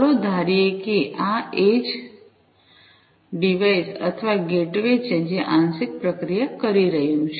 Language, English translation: Gujarati, Let us assume, that this is the edge device or the gateway, which is doing partial processing